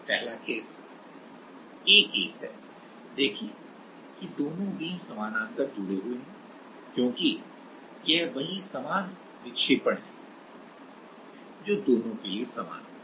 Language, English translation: Hindi, The first case the a case, see that both the beams are connected parallel, because, it is the same deflection which will happen for both the beams right